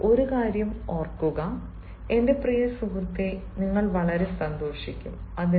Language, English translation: Malayalam, now, remember one thing and you will be very happy, my dear friend